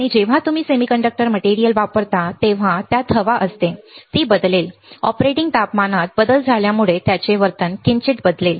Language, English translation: Marathi, And when you are using semiconductor material it has air it will change, it will slightly change its behavior with change in the operating temperature